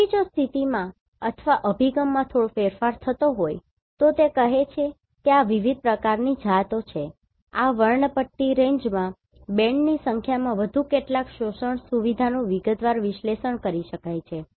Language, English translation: Gujarati, So, if there is a slight change in the position or the orientation, then it says this is different types of species, some more in number of bands within this spectral range more detailed analysis of absorption feature can be done